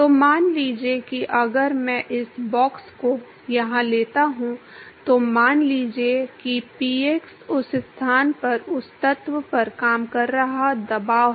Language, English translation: Hindi, So, supposing if I take this box here, if supposing px is the pressure that is acting on that element in that location